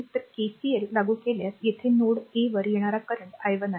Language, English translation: Marathi, So, apply KCL here if you apply KCL, incoming current at node a is i 1, right